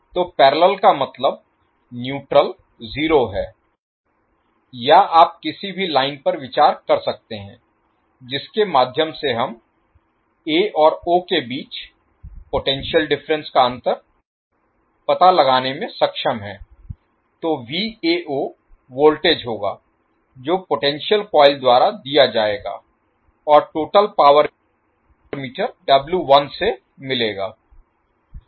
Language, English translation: Hindi, So parallel means the zero is neutral or you can consider a any line through which we are able to find out the difference potential difference between a and o so V a o will be the voltage which will be given by the potential coil and will get the total power that is W N from the meter W 1